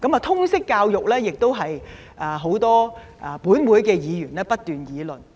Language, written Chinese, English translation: Cantonese, 通識教育亦是很多本會的議員不斷議論。, Another subject of constant debate among Members is Liberal Studies